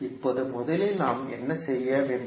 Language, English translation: Tamil, Now, first what we have to do